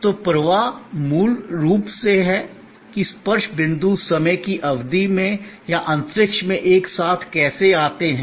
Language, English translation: Hindi, So, flow is basically how the touch points come together over a period of time or across space